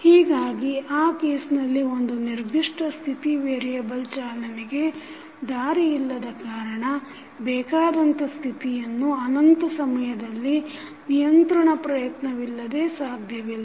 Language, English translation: Kannada, So, in that case there will be no way of driving that particular state variable to a desired state infinite times by means of any control effort